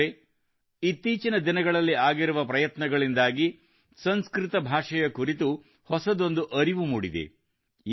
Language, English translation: Kannada, the efforts which have been made in recent times have brought a new awareness about Sanskrit